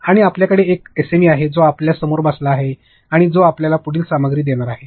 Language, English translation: Marathi, And you have an SME who is sitting on top of you who is going to give you further content